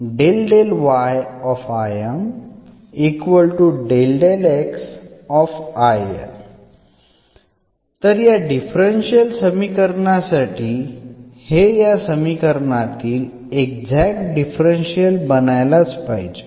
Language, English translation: Marathi, So, this is the differential this is the solution of the given differential equation